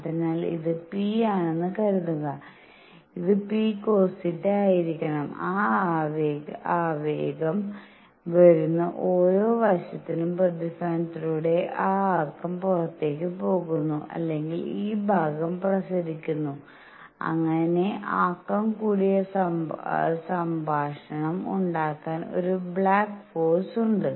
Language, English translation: Malayalam, So, suppose this is p; this has to be p cosine of theta and for every side that momentum comes in there is a momentum going out either by reflection or this part is also radiating so that there is a back by momentum conversation there is a back force